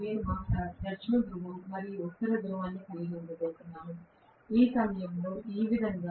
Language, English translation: Telugu, I am probably going to have South Pole and North Pole, at this instant somewhat like this